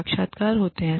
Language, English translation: Hindi, There are interviews